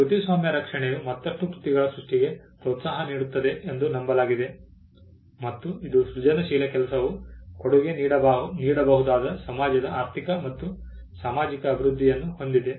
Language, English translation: Kannada, Copyright protection is also believed to incentivize creation of further works and it also has the economical and social development of a society which the creative work could contribute to